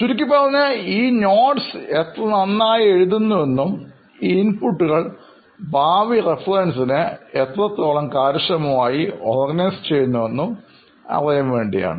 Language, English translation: Malayalam, So basically how well this input method of writing or taking down notes is happening and how efficiently these notes are being organized for future reference